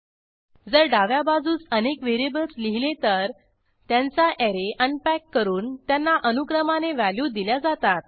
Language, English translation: Marathi, If we list multiple variables on the left hand side, then the array is unpacked and assigned into the respective variables